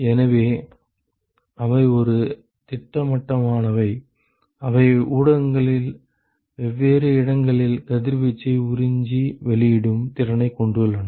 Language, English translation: Tamil, So, they have a definite, they have the ability to absorb and emit radiation at different locations in the media